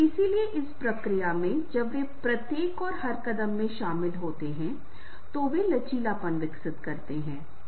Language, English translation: Hindi, so in the process, when they are involving n the each and every step they are, they will develop the resilience